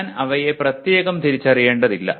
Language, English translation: Malayalam, I do not have to separately identify them